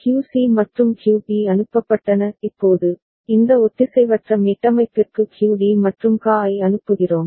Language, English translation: Tamil, QC and QB were sent; now, we are sending QD and QA to this asynchronous reset